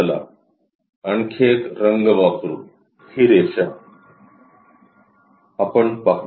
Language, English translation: Marathi, Let us use other color; this line, we will see